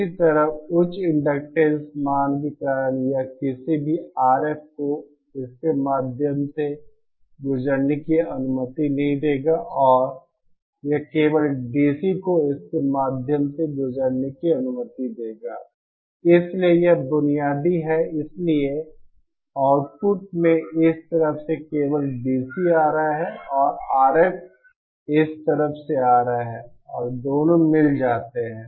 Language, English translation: Hindi, Similarly, because of the high inductance value it will not allow any RF to pass through it and it will allow only DC to pass through it, so that is the basic so at the output here only DC is coming and here only DC is coming from the side and RF is coming from this side and 2 are mixed